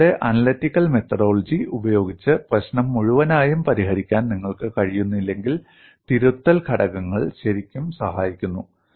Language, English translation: Malayalam, If you are unable to solve the problem in all its totality by your analytical methodology, correction factors really help